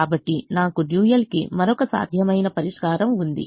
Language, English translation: Telugu, so i have another feasible solution to the dual